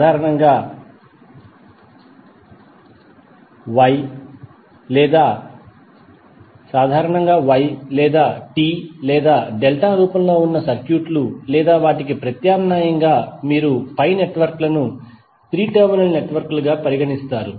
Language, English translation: Telugu, Basically, those circuits which are in the form of Y or t or delta or alternatively you could pi networks are generally considered as 3 terminal networks